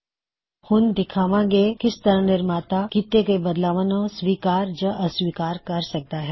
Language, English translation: Punjabi, We will now show how the author can accept or reject changes made by the reviewer